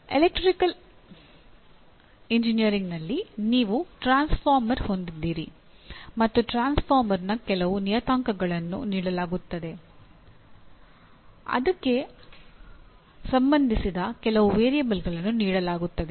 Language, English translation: Kannada, In electrical engineering you have a transformer and some parameters of the transformer are given or some variables associated with are given